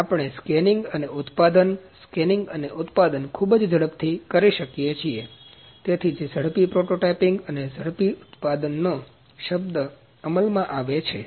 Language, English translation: Gujarati, So, we can produce very rapidly the scanning and producing, scanning and producing, that is why the term rapid prototyping and rapid manufacturing’s comes into play